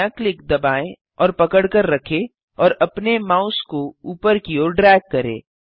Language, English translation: Hindi, Press and hold left click and drag your mouse upwards